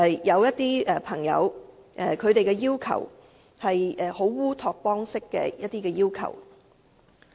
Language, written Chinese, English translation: Cantonese, 有些朋友提出了一些烏托邦式的要求。, Some people have put forward certain utopian requests